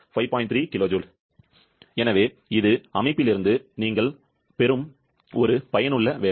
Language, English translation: Tamil, 3 kilojoule, so this is a useful work that you are getting from the system